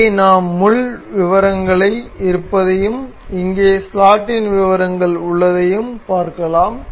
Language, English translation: Tamil, So, we will here we can see we have the details of pin and here we have the details of slot